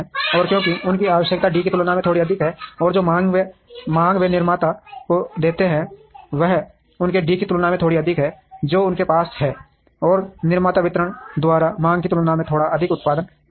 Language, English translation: Hindi, And because their requirement is little more than D, and the demand that they give to the producer is a little higher than their D, that they have, and the producer ends up producing a little more than what is demanded by the distributor